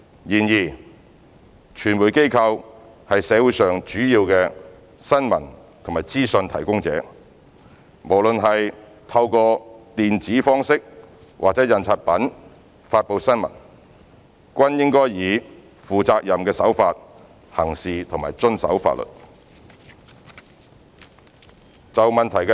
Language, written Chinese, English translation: Cantonese, 然而，傳媒機構是社會上主要的新聞及資訊提供者，無論是透過電子方式或印刷品發布新聞，均應以負責任的手法行事和遵守法律。, However as major providers of news and information for the community media organizations should act responsibly and observe the law in the dissemination of news irrespective of whether it is through the electronic mode or printed platform